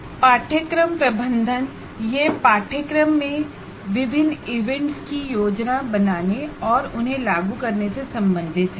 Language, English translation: Hindi, It refers to planning and implementing different events in the course